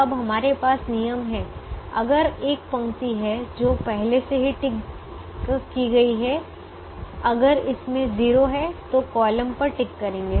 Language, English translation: Hindi, the rule is: if there is a row that is already ticked, if it has a zero, tick the column